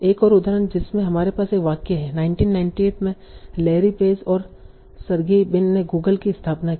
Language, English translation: Hindi, So like I can have information like founder of Larry Page, Google, founder of Sergei Brin Google and founded in Google in 1998